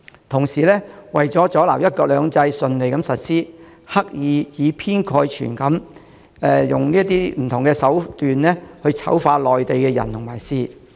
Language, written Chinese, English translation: Cantonese, 同時，為了阻撓"一國兩制"順利實施，他們刻意以偏概全，以不同手段醜化內地的人和事。, Meanwhile in order to disrupt the smooth implementation of one country two systems they have deliberately made sweeping assertions and used various ploys to vilify Mainlanders and Mainland affairs